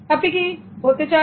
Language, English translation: Bengali, Where will you be